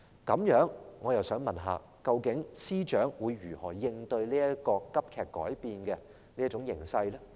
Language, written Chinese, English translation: Cantonese, 這樣，我想問司長，究竟他會如何應對這個急劇改變的形勢呢？, That being the case I would like to ask the Secretary how exactly will he cope with this drastically changing situation?